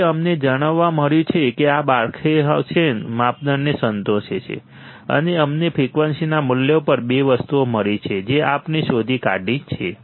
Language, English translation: Gujarati, So, we have found out that this satisfies Barkhausen criterion, and we have found at the value of frequency two things we have found out right